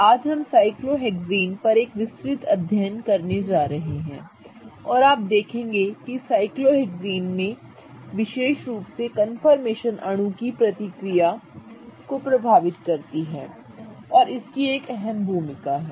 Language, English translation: Hindi, Today we are going to have a detailed look at cyclohexanes and why I am saying detailed is that in cyclohexanes in particular you will see that the confirmations play a huge role in how the molecule reacts